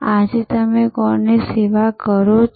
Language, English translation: Gujarati, Who are you serving today